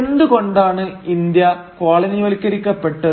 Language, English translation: Malayalam, Why was India colonised